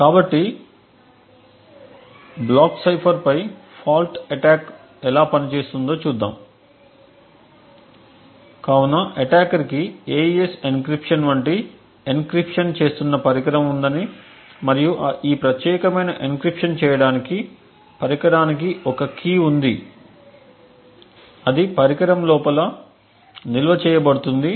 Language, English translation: Telugu, So, let us look at how a fault attack on a block cipher actually works, so we assume that the attacker has a device which is doing an encryption like an AES encryption and in order to do this particular encryption the device has a key which is stored inside the device